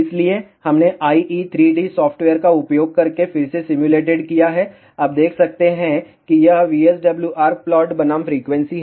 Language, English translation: Hindi, So, we have again simulated using IE 3 D software you can see that this is VSWR plot versus frequency